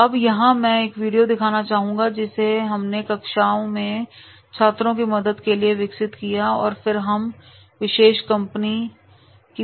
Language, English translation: Hindi, Now here I would like to show a video which we have developed with the help of the students in the classroom and then we can go for that particular company video